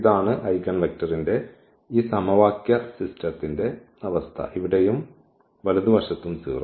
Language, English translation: Malayalam, This is the situation of this system of equation for the eigenvector here and the right hand side 0